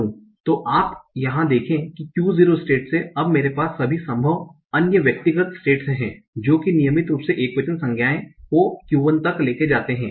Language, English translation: Hindi, So you see here from the state Q0, I am now having all the possible other intermediate states that take the regular singular nouns to Q1